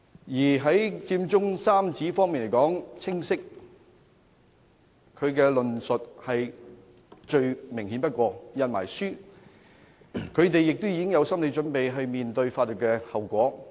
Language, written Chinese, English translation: Cantonese, 至於佔中三子，他們的論述最清楚不過，甚至已出版書籍，更有心理準備要面對法律後果。, As for the Occupy Central Trio their arguments are loud and clear and have even been published . What is more they are psychologically prepared to face the legal consequences